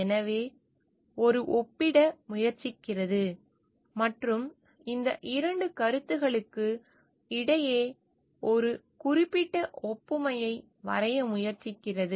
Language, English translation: Tamil, And so, the it tries to compare and tries to draw certain analogy between these 2 concepts